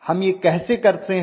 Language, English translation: Hindi, How do we do it